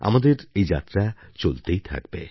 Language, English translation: Bengali, But our journey shall continue